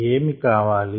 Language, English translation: Telugu, what is need